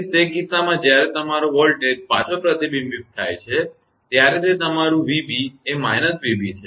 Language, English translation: Gujarati, So, in that case when your voltage is reflected back, it is your v b that is your minus minus v b